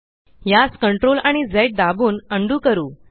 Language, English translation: Marathi, Lets undo this by pressing CTRL and Z keys